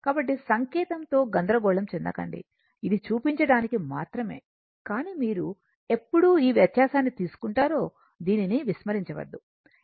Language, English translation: Telugu, So, do not confuse with the sign this is to show this one right, but when you will take the difference of this do not ignore this one